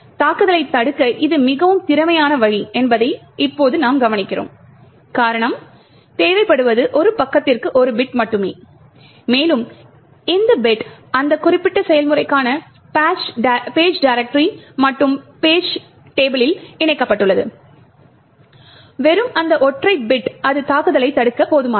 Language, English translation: Tamil, Now we would note that this is a very efficient way to prevent the attack, the reason is that all that is required is just 1 bit for a page and this bit incorporated in the page directory and page table for that particular process and it is just that single bit which is sufficient to actually prevent the attack